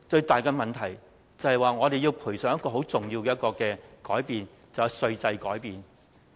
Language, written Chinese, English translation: Cantonese, 但是，最後，我們要賠上一個很重要的改變，就是稅制改變。, However at the end we have to pay a high price of changing our tax regime